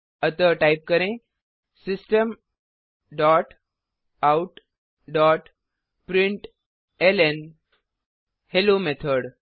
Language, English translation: Hindi, So type System dot out dot println Hello Method